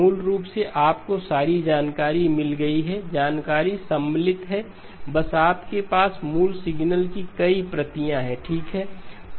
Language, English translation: Hindi, Basically, you got all of the information, information is contained you just have multiple copies of the original signal okay